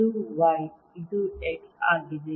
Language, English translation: Kannada, this is y, this is x